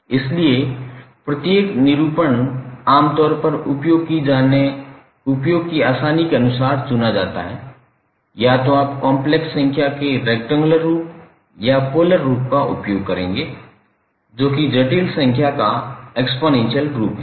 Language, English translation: Hindi, That is either you will use the rectangular form of the complex number or the polar form that is exponential form of the complex number representation